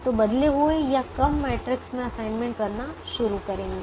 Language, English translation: Hindi, so start making assignments in the reduced matrix